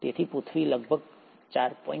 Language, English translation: Gujarati, So, the earth seems to be about 4